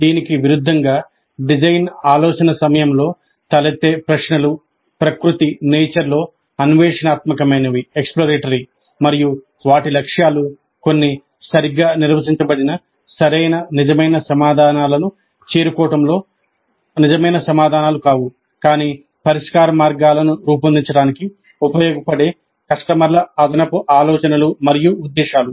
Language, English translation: Telugu, By contrast, questions that arise during design thinking are exploratory in nature and their objectives are not true answers in the sense of reaching some well defined correct true answers, but additional ideas and intents of customers useful for framing the solution space